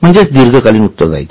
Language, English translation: Marathi, So, long term liabilities